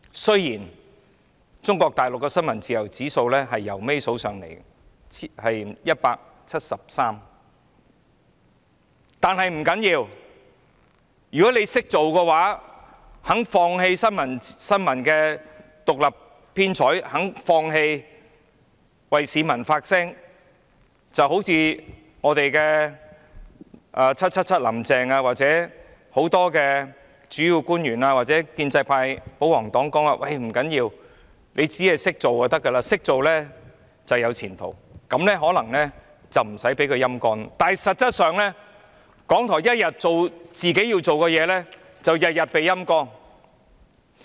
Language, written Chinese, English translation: Cantonese, 雖然中國大陸的新聞自由指數幾近最低，排名第一百七十三，但不要緊，如果你"識做"，願意放棄新聞獨立編採，願意放棄為市民發聲，好像我們的"林鄭 777" 或很多主要官員或建制派保皇黨所說般，不要緊，只要"識做"便可以，"識做"便有前途，這樣便可能不會被"陰乾"，但在現實中，港台一天做自己要做的事，便會天天被"陰乾"。, While Mainland China ranks almost the lowest at 173 in the press freedom index that would not be a problem so long as you are smart enough to know how to behave willing to give up editorial independence and willing to give up voicing out for the people just as what Carrie LAM 777 and many principal officials or the pro - establishment and pro - Government camp have said . That would not be a problem for it would be fine so long as you know how to behave and you will have promising prospects so long as you know how to behave . This way probably RTHK would not have been sapped